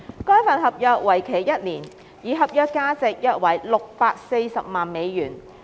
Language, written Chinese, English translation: Cantonese, 該份合約為期一年，而合約價值約為640萬美元。, The contract period was one year and the contract value was about US6.4 million